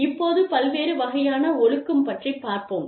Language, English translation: Tamil, Now, various forms of discipline